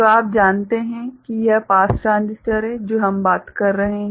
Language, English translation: Hindi, So, that is you know the pass transistors that we are talking about ok